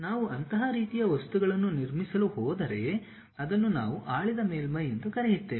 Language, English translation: Kannada, If we are going to construct such kind of object that is what we called ruled surface